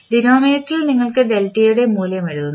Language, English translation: Malayalam, In the denominator you will write the value of delta